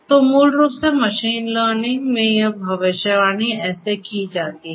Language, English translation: Hindi, So, this is basically how this prediction is done in machine learning